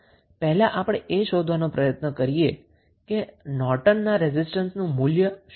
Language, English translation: Gujarati, Now, next task is to find out the value of Norton's current